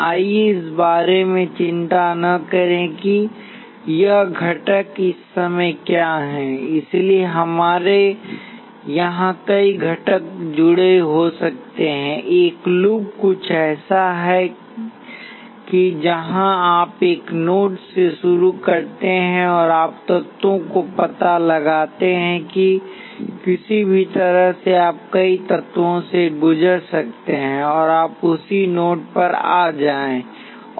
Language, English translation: Hindi, Let us not worry about what this components are at the moment, so we can have a number of components connected here, a loop is something where you start from a node, and you go trace the elements and somehow others you can go through many elements and come back to the same node